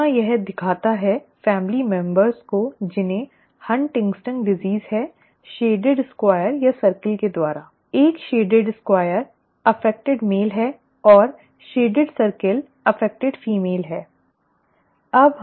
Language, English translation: Hindi, Here this shows the family members who have HuntingtonÕs disease by a shaded square or a circle, okay, a shaded square is an affected male and the shaded circle is affected female, okay